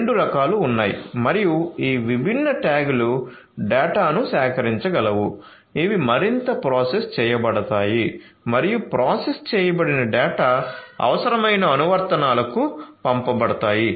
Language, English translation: Telugu, So, there are two types and these different tags would be able to collect the data which will be further processed through processed and would be sent to the desire the to the applications that need the processed data